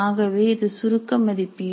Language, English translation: Tamil, So we are using the assessment